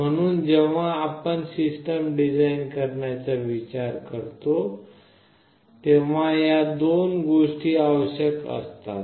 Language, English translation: Marathi, So, when we think of designing a system these two things are required